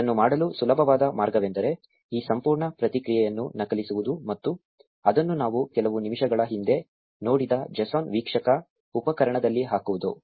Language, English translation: Kannada, The easiest way to do this is to copy this entire response and put it in the json viewer tool that we saw a few minutes ago